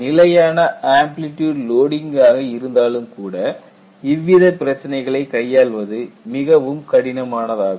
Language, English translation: Tamil, Even when you have a constant amplitude loading, these issues are very difficult to implement